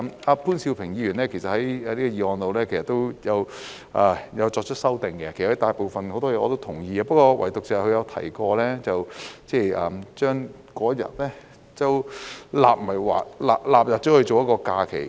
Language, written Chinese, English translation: Cantonese, 潘兆平議員也有就議案提出修訂，其大部分內容我也是同意的，唯獨是他提到把那一天納入為假期。, Mr POON Siu - ping has also proposed an amendment to the motion and I agree to most parts of it except for his proposal to include that day as a holiday